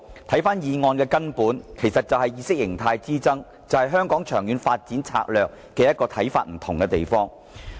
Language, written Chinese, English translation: Cantonese, 其實，議案涉及的根本是意識形態之爭，是對香港長遠發展策略不同的看法。, Actually the arguments over the motion are simply ideological in nature involving divergent views on Hong Kongs long - term development strategy